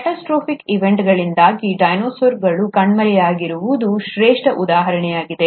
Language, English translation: Kannada, And then the classic example has been the disappearance of dinosaurs because of catastrophic events